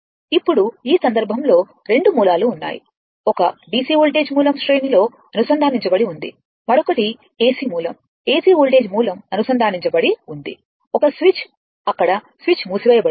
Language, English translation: Telugu, Now, in this case 2 sources are there; one your DC voltage source is connected in series, another is AC source AC voltage source is connected one switch is there you close the switch right